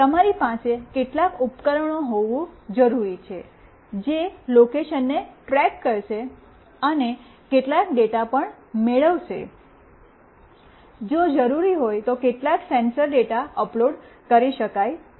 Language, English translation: Gujarati, You need to have some devices that will track the location and will also receive some data, if it is required some sensor data can be uploaded